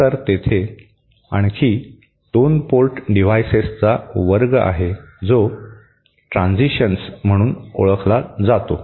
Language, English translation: Marathi, Then there is another class of 2 port devices that are known as transitions